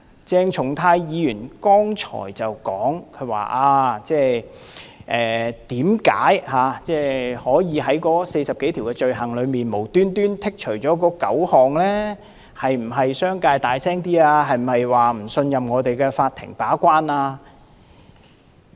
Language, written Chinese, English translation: Cantonese, 鄭松泰議員剛才說，為甚麼政府無緣無故從46項罪類中剔除9項，是否因為商界聲音大一點，是否不信任我們的法庭把關？, Dr CHENG Chung - tai queried whether the Governments suddenly removal of 9 items of offences out of the 46 items was due to the fact that the business sector has a louder say and that the sector has no confidence in our courts